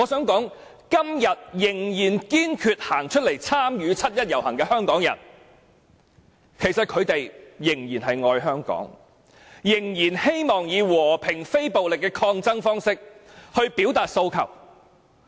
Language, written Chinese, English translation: Cantonese, 今天仍然堅決站出來參與七一遊行的香港人仍然愛香港，仍然希望以和平非暴力的抗爭方式表達訴求。, Today those Hong Kong people who insist on participating in the 1 July march still love Hong Kong and they still wish to express their aspirations through peaceful and non - violent protests